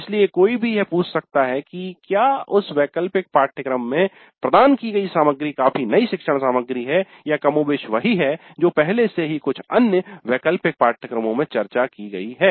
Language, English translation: Hindi, So one can ask whether the material provided in that elective course is substantially new learning material or is it more or less what is already discussed in some other elective courses